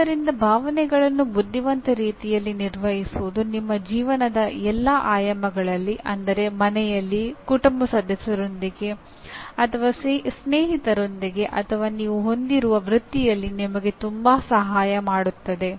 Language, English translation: Kannada, So managing emotions in a what you may call as intelligent way will greatly help you in your all aspects of life whether at home with family members or with friends or in the profession that you have